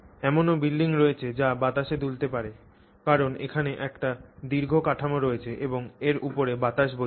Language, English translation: Bengali, You also have buildings which have to which may sway in the air because of you know there is tall structure and the breeze is blowing on it